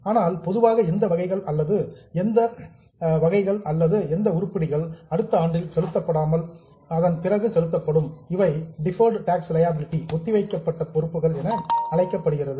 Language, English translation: Tamil, But in general, whichever items which are not to be paid in next year but can be paid beyond that, then it is called as a deferred tax liability